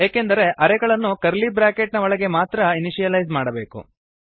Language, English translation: Kannada, This is because arrays must be initialized within curly brackets